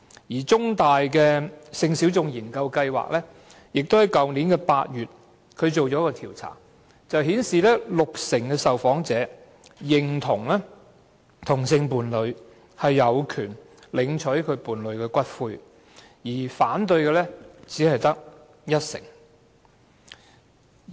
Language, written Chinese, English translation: Cantonese, 香港中文大學性小眾研究計劃於去年8月進行了一次調查，結果顯示六成受訪者認同同性伴侶有權領取伴侶的骨灰，反對的只得一成。, The Sexualities Research Programme of The Chinese University of Hong Kong conducted a survey last August . The results indicate that 60 % of the public surveyed support same - sex couples right to claim the ashes of their deceased partner while 10 % oppose it